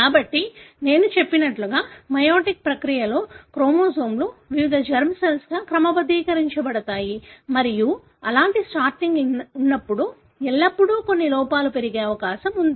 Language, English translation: Telugu, So as I said, so during the meiotic process, the chromosomes are sorted into into different germ cells and when such kind of sorting takes place there is always a possibility that there are some errors